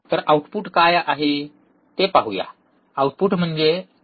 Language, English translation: Marathi, So, what is the output voltage let us see, what is the output